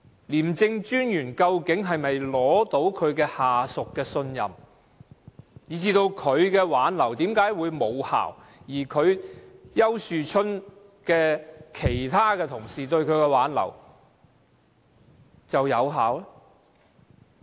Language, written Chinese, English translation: Cantonese, 廉政專員究竟可否取得下屬的信任，以及他的挽留為何無效，而其他同事對丘樹春的挽留卻有效呢？, Could the ICAC Commissioner command the trust of his subordinate? . Why was his persuasion unsuccessful whereas other colleagues persuasion was effective?